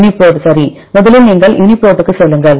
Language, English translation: Tamil, UniProt right, first you go to UniProt